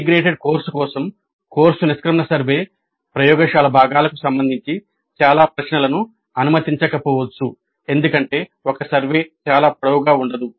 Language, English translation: Telugu, So because of that the course exit survey for an integrated course may not allow many questions regarding the laboratory components as we cannot have a survey form that is too long